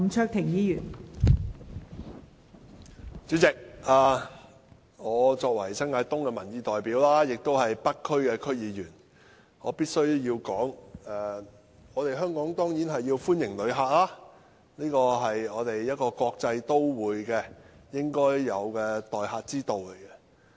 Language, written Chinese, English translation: Cantonese, 代理主席，我作為新界東的民意代表，亦是北區區議員，我必須說，香港當然歡迎旅客，這是作為國際都會應有的待客之道。, Deputy President as a representative of public opinion in New Territories East and a member of the North District Council I must say that Hong Kong certainly welcomes visitors for an international metropolis should extend hospitality to visitors